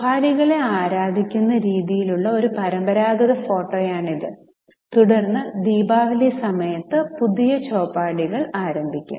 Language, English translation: Malayalam, This is a traditional photo how the chopris used to be worshipped and then the new chopries will be started during Diwali